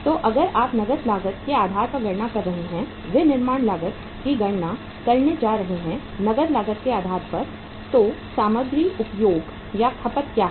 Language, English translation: Hindi, So if you are going to calculate this on the cash cost basis, manufacturing cost on the basis of the cash cost basis so what is the material consumed